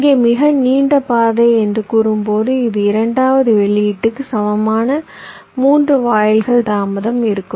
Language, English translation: Tamil, so here when i say the longest path, it will be the delay of the second output, equivalent three gates delays